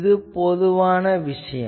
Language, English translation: Tamil, So, this is a general thing